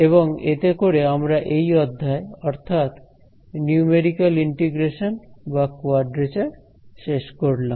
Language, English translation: Bengali, So, this brings us to an end of this module on numerical integration or quadrature as it is more popularly known